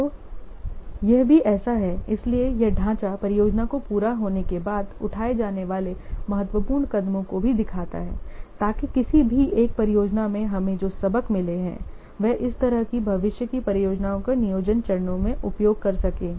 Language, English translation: Hindi, So this framework also illustrates the importance steps that must be taken after completion of the project so that the experience, the lessons that we have gained in any one project can feed into the planning stages of the similar future projects